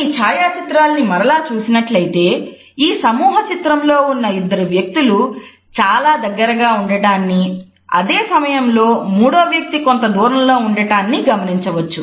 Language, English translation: Telugu, If we look at this photograph again, we find that two individuals in this group photo are at a closer distance to each other on the other hand the third person is maintaining slightly more distance